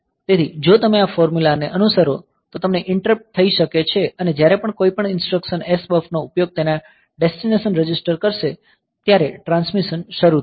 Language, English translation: Gujarati, So, if you follow this formula then you can get the delays and whenever any instruction uses SBUF as its destination register transmission will start